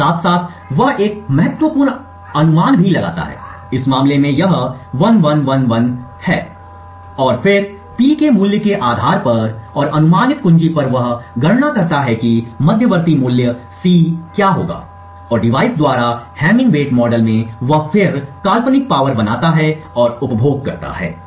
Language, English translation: Hindi, Now side by side he also makes a key guess, in this case it is 1111 and then based on the value of P and the key guess he computes what the intermediate value C would be and in the hamming weight model he then creates the hypothetical power consumed by the device